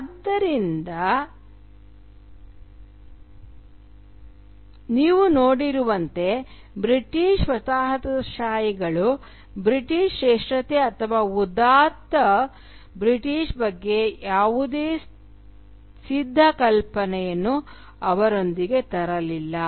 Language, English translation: Kannada, So, as you can see, the British colonisers did not bring with them any readymade idea of British superiority or exalted Britishness